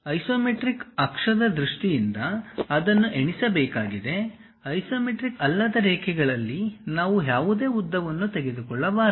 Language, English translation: Kannada, One has to count it in terms of isometric axis, we should not literally take any length on non isometric lines